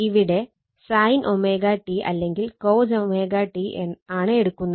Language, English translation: Malayalam, Here you are taking sin omega t or cosine omega t